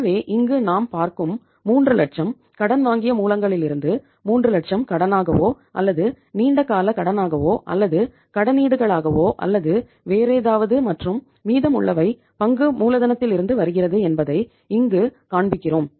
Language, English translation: Tamil, So 3 lakhs we are showing here that 3 lakh is coming from the borrowed sources as a debt or as a long term loan or as debentures or anything and remaining is coming from the share capital